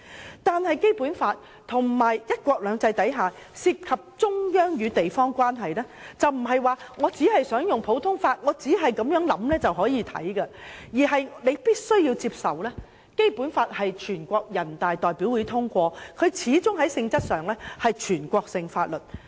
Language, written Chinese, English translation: Cantonese, 可是，在《基本法》及"一國兩制"之下涉及中央與地方關係時，卻不能說我只想按普通法原則處理便可以，我們必須接受《基本法》是全國人民代表大會常務委員會通過，在性質上始終是全國性法律。, However when the relationship between the Central and local authorities under the Basic Law and one country two systems is concerned we cannot claim that we only have to act in accordance with the common law principle . We must accept that the Basic Law adopted by the Standing Committee of the National Peoples Congress NPCSC is inherently a national law